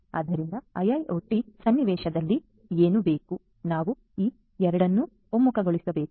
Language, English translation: Kannada, So, what is required is in an IIoT scenario, we have to converge these two